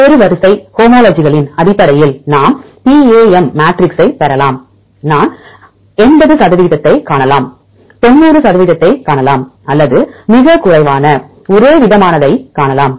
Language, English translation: Tamil, We can derive the PAM matrix based on various sequence homologies; we can see 80 percent, we can see 90 percent or we can see a very less homologous